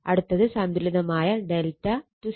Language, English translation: Malayalam, Another one is balanced delta Y connection